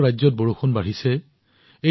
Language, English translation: Assamese, Rain is increasing in many states